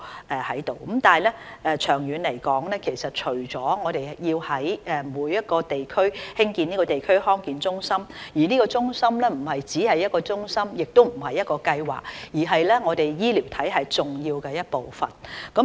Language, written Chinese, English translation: Cantonese, 但是，長遠而言，除了我們要在每一區興建地區康健中心，該中心亦不僅是一個中心，也不僅是一個計劃，而是我們醫療體系重要的一部分。, However in the long run we have to not just build a DHC in every district but also make it an important part of our healthcare system instead of merely a centre or a scheme